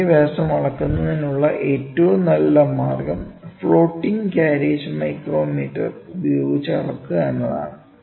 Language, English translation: Malayalam, The best way to measure the minor diameter is to measure its using floating carriage micrometer